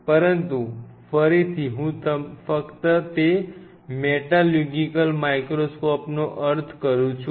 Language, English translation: Gujarati, But again, I am just meaning their metallurgical microscope